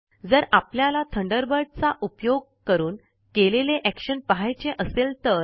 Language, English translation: Marathi, And what if we want to view the the actions that we did using Thunderbird